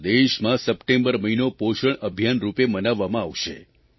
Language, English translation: Gujarati, The month of September will be celebrated as 'Poshan Abhiyaan' across the country